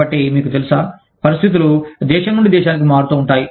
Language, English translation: Telugu, So, you know, the conditions vary from, country to country